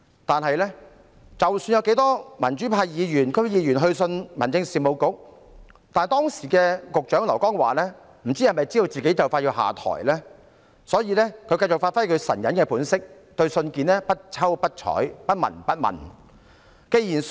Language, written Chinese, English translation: Cantonese, 但是，不論有多少民主派議員和區議員去信民政事務局，不知道時任局長劉江華是否因為知悉自己即將下台，所以繼續發揮其"神隱"本色，對信件不瞅不睬、不聞不問。, However no matter how many Legislative Council and District Council Members of the pro - democracy camp had written to the Home Affairs Bureau the then Secretary LAU Kong - wah perhaps knowing that he would soon leave office continued to give play to his invisibility turning a blind eye and remaining indifferent to the letters